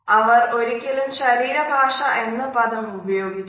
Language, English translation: Malayalam, They had never use the word body language